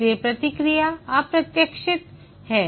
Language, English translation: Hindi, Therefore, the process is unpredictable